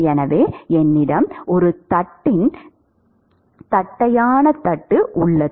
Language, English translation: Tamil, So, suppose I take a flat plate, ok